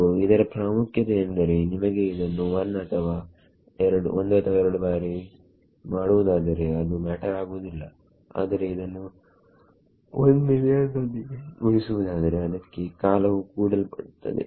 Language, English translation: Kannada, So, that is a significant if you have to do it 1 or 2 times it would not matter but if you have to do multiplied by 1 million the time adds up